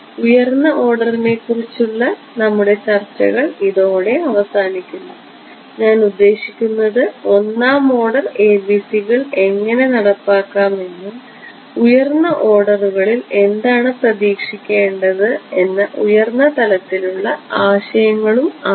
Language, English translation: Malayalam, So, that concludes our discussions of higher order I mean how to implement 1st order ABCs and just high level idea of what to expect in a higher order